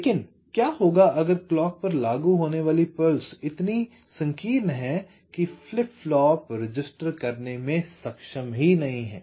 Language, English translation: Hindi, but what if the pulse that is apply to clock is so narrow that the flip flop is not able to register